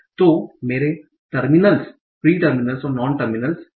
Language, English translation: Hindi, So these are my terminals, non terminals and pre terminals